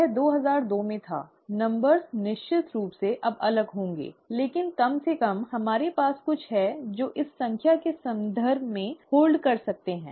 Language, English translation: Hindi, This was in two thousand two, the numbers, of course would be different now, but atleast we have something that we can hold on to, in terms of numbers